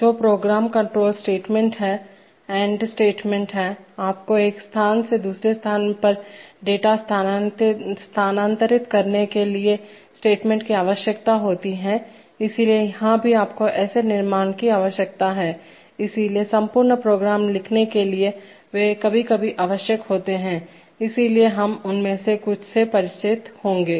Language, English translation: Hindi, Which are program control statements, add statements, you need statements for moving data from one location to the other, so here also you need such construct, so for writing complete programs they are sometimes necessary, so we will get familiarized with some of them